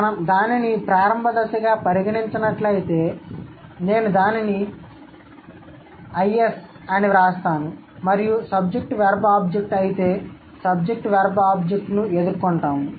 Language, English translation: Telugu, If we consider it as the initial stage, I'm going to write it as IS and let's say if S V O is, we encounter S V O